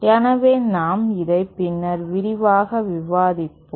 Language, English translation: Tamil, So, we will discuss this later on, all this in much detail